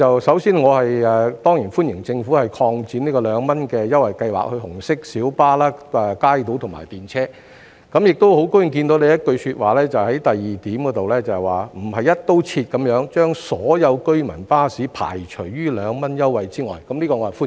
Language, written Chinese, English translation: Cantonese, 首先，我當然歡迎政府擴展二元優惠計劃至紅色小巴、街渡和電車，亦很高興聽到局長在第二部分提到"不是'一刀切'把所有居民巴士排除於二元優惠計劃之外"，我對此表示歡迎。, First of all I certainly welcome the Governments extension of the 2 Scheme to RMBs kaitos and tramways . I am also very glad to hear the Secretary mention in part 2 that the Government has not rigidly excluded all residents services from the 2 Scheme . I welcome this